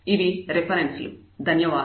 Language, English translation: Telugu, These are the references